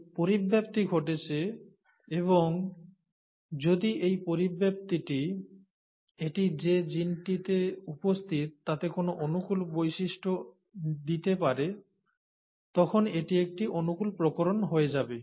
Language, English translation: Bengali, So now, this mutation has happened and if this mutation is going to impart a favourable character to the gene in which it is present, then this becomes a favourable variation